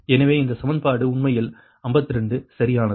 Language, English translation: Tamil, so this is equation actually fifty two right